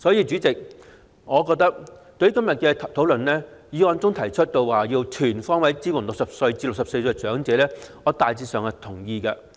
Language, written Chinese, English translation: Cantonese, 主席，對於今天討論的議案中提出"全方位支援60歲至64歲長者"，我大致上表示贊同。, President I am generally supportive of the motion on Supporting elderly persons aged between 60 and 64 on all fronts under discussion today